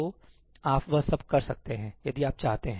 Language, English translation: Hindi, So, you can do all that if you want